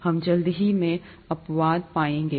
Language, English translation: Hindi, We’ll quickly find exceptions